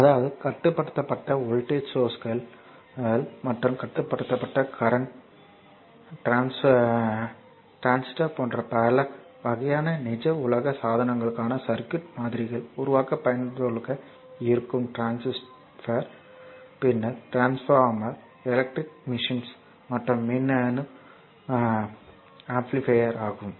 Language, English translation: Tamil, That means the controlled voltage sources and controlled current sources right are useful in constructing the circuit models for many types of real world devices such as your such as your transistor, just hold down such as your transistor, then your transformer, then electrical machines and electronic amplifiers right